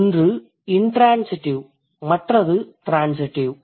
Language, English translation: Tamil, One is intransitive versus transitive